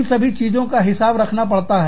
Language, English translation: Hindi, So, all of that, has to be accounted for